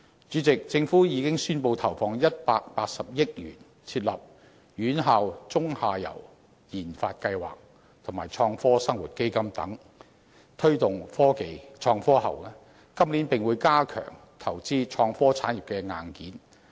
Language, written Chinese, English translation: Cantonese, 主席，政府已宣布投放180億元，通過設立"院校中游研發計劃"及"創科生活基金"等措施推動創科，今年並會加強投資創科產業的硬件。, President the Government has announced the 18 billion allocation for promoting innovation and technology via measures such as the establishment of the Midstream Research Programme for Universities and the Innovation and Technology Fund for Better Living